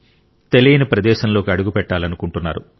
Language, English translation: Telugu, It wants to step on unknown territory